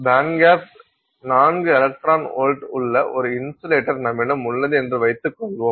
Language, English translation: Tamil, Let's assume that we have an insulator where the band gap is 4 electron volts